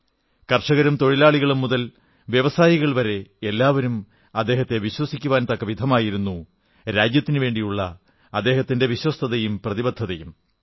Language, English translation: Malayalam, Such was his sense of honesty & commitment that the farmer, the worker right up to the industrialist trusted him with full faith